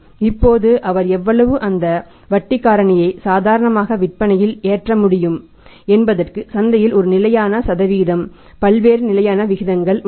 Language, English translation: Tamil, Now how much that interest factor he can load the sales with normal there is a standard percentage in the market various standard rate in the market